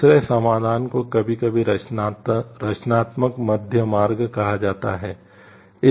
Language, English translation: Hindi, Second solution is sometimes called the creative middle way